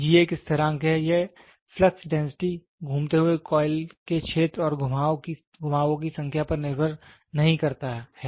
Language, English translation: Hindi, G is a constant and it is independent of flux density the moving of the area of the moving coil and the number of turns